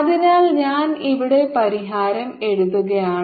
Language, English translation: Malayalam, so i am writing the ah, the solution here